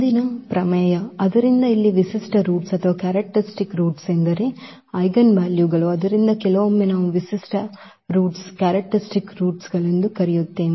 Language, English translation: Kannada, Next theorem, so here the characteristic roots I mean the eigenvalues so sometimes we also call the characteristic roots